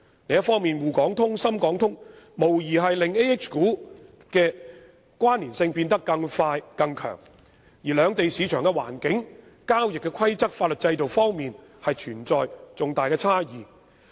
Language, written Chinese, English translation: Cantonese, 另一方面，滬港通、深港通無疑會令 AH 股的關連性變得更快更強，而兩地市場的環境、交易規則、法律制度等方面均存在重大差異。, Besides the Sh - HK Stock Connect and the Sz - HK Stock Connect will undoubtedly speed up and enhance our connection with AH shares . And there are huge differences between the markets of both places in areas such as market environment trading rules and legal system